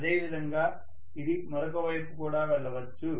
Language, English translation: Telugu, The same way, it can also go on the other side, right